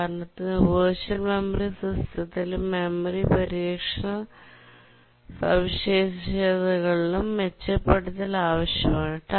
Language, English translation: Malayalam, For example, in the virtual memory system and in the memory protection features, we need improvement